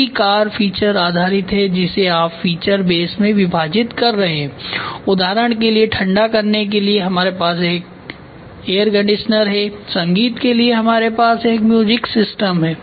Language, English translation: Hindi, Feature based is in the entire car you are dividing it feature base for example, for cooling we have an air conditioner for music we have a music system